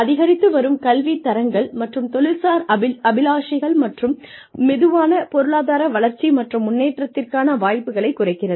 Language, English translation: Tamil, Rising educational levels and occupational aspirations, coupled with slow economic growth, and reduced opportunities, for advancement